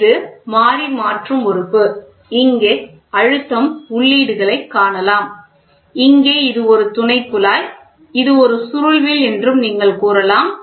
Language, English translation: Tamil, So, Variable Conversion Element if you see these are pressure inputs and you can say this is the supporting tube here is a coiled spring